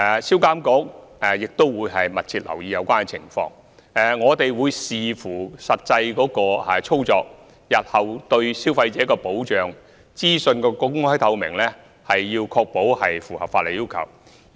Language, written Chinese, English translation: Cantonese, 銷監局也會密切留意有關情況，我們亦會視乎實際操作，確保日後對消費者的保障和資訊的公開透明度符合法例要求。, SPRA will also keep watch on the situation closely . Depending on the actual operation we will ensure that in future the protection for consumers and the openness and transparency of information will comply with legal requirements